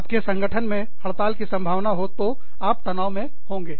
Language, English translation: Hindi, So, the possibility of a strike, in your organization, will stress you out